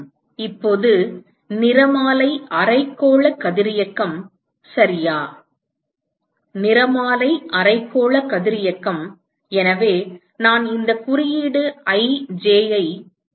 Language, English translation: Tamil, Now, the spectral hemispherical radiosity right spectral hemispherical radiosity is given by so the symbol I use this J